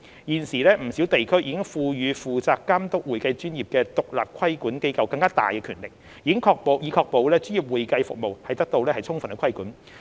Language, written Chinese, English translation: Cantonese, 現時，不少地區已賦予負責監督會計專業的獨立規管機構更大權力，以確保專業會計服務得到充分規管。, At present many jurisdictions have already given expanded power to independent regulators overseeing the accounting profession to ensure that professional accounting services are duly regulated